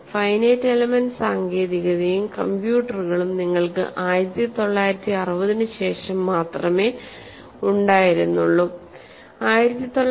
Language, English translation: Malayalam, The finite element technique and also the computers you had only after 1960